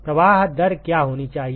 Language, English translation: Hindi, What should be the flow rate